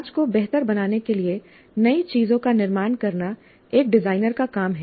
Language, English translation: Hindi, It is an engineer's job to create new things to improve society